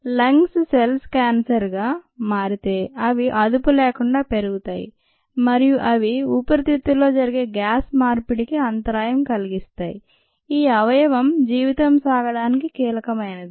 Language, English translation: Telugu, if the lung cells become cancerous, they start growing uncontrolled and they interfere with the gas exchange that happens in the lungs, which is whittle to keep ah up life, and so on